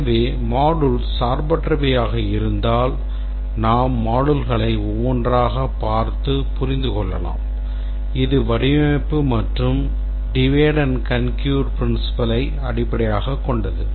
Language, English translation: Tamil, So, if the modules are independent, we can one by one, we just look up the modules and understand this and this is based on the design and divide and conquer principle